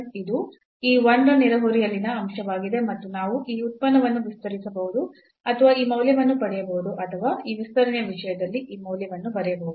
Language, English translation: Kannada, So, this is the point in the neighborhood of this 1 and we can expand this function or get this value or write down this value in terms of this expansion here